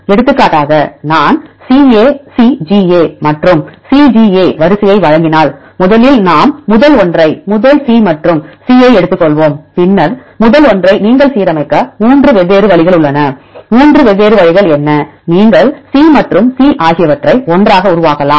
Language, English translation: Tamil, For example, if I give the sequence CACGA and CGA, first we start with the first one; take the first one C and C, there are 3 different ways you can align the first one; what are 3 different ways; you can make C and C together